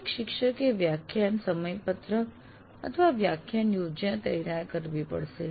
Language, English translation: Gujarati, That is every teacher will have to prepare a lecture schedule or a lecture plan